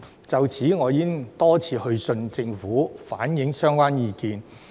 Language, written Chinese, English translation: Cantonese, 就此，我已多次去信政府，反映相關意見。, In this connection I have written to the Government many times to reflect the views